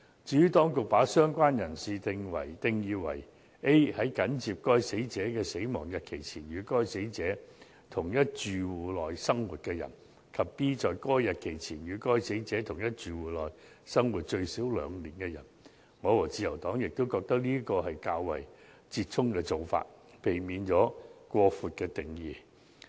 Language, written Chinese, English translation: Cantonese, 至於當局把"相關人士"定義為 a 在緊接該死者逝世的日期前，與該死者在同一住戶內生活的人；及 b 在該日期前，與該死者在同一住戶內生活最少2年的人，我和自由黨也認為是折衷的做法，避免了過闊的定義。, The Administration has defined a related person as a person who a was living with the deceased person in the same household immediately before the date of the death of the deceased person; and b had been living with the deceased person in the same household for at least two years before that date . The Liberal Party and I think that this is a compromising approach that avoids an excessively broad definition